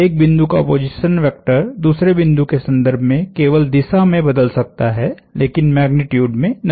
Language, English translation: Hindi, The position vector of one point in relation to the other point may change only in direction, but not in magnitude